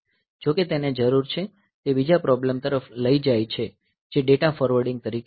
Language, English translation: Gujarati, However, it needs the; it leads to another problem which is known as data forwarding